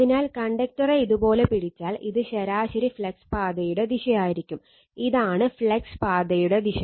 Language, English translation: Malayalam, So, if you grabs the conductor like this, then this will be your the direction of the your mean flux path, this is the direction of the flux path right